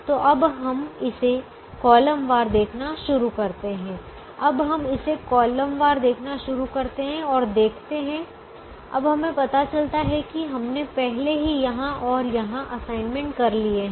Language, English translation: Hindi, now we start looking at it column wise and see what we do, now we realize that we had already made assignments here and here already